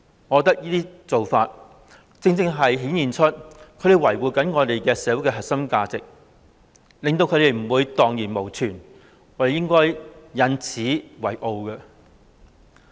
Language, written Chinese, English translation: Cantonese, 我覺得這種做法顯示他們正在維護我們社會的核心價值，令這些價值不致蕩然無存，我們應該引以為傲。, I think this approach shows that these people are safeguarding the core values of our society lest they may vanish into thin air . We should be proud of them